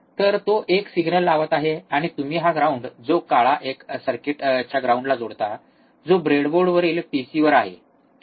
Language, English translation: Marathi, So, he is applying signal, and you will connect this ground which is black 1 to the ground of the circuit, that is on the pc on the breadboard, alright